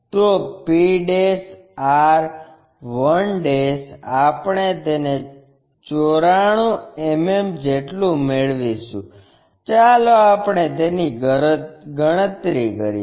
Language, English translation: Gujarati, So, p' r 1' we will get it as 94 mm, let us calculate that